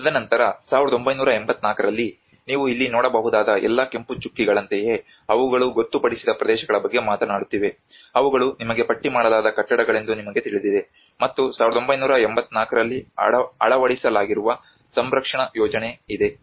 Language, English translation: Kannada, And then in 1984 what you can see here is like it is all the red dots which are actually talking about the designated areas you know they are all the listed buildings around, and there is a conservation plan which has been adopted in 1984